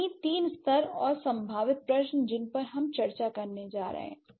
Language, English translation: Hindi, So, the three levels and the potential questions that we are going to discuss